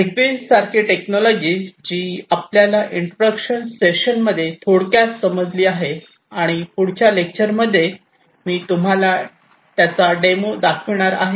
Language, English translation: Marathi, Technologies such as ZigBee, which we have briefly understood in the introduction section and also in the next lecture I am going to show you a demo of